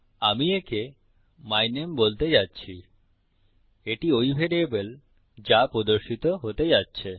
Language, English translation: Bengali, Im going to call it my name which is the variable thats going to appear